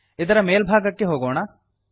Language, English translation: Kannada, Go to the top of this